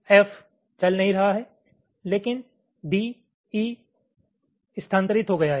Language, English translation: Hindi, here f is not moving, but d, e have moved